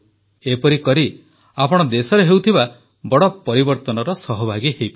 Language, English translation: Odia, This way, you will become stakeholders in major reforms underway in the country